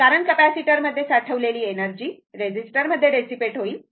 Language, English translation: Marathi, Because, energy stored in the capacitor will be dissipated in the resistor